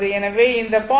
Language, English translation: Tamil, So, this 0